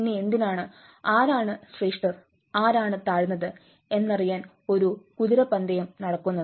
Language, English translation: Malayalam, then why there is a horse race going in between who is superior who is inferior